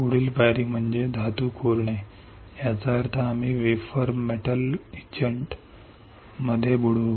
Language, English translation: Marathi, Next step is to etch metal; that means, we will dip the wafer in metal etchant